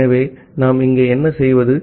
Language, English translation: Tamil, So, what we do here